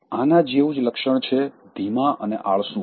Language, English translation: Gujarati, Similar to this is being slow and lazy